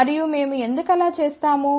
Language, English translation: Telugu, And why do we do that